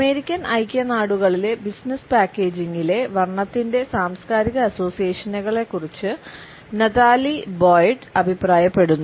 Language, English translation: Malayalam, Natalie Boyd has commented on the cultural associations of color in business packaging in the United States